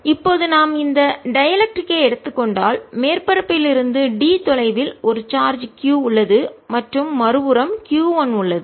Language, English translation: Tamil, so now, if we take this dielectric, there is a charge q at a distance d from the surface and charge q one on the other side